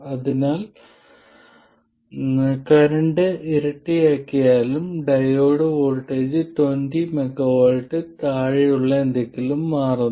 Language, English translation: Malayalam, So, even doubling the current changes the diode voltage only by something less than 20molts